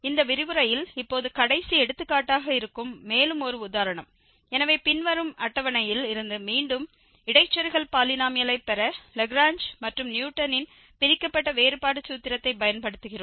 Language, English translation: Tamil, One more example that is the last example now in this lecture, so, we use the Lagrange and the Newton's divided difference formula to derive interpolating polynomial again from this following table